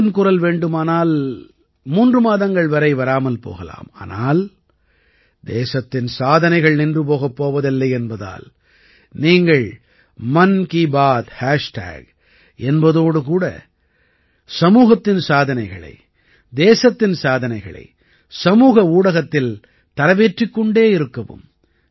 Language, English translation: Tamil, Even though 'Mann Ki Baat' is undergoing a break for three months, the achievements of the country will not stop even for a while, therefore, keep posting the achievements of the society and the country on social media with the hashtag 'Mann Ki Baat'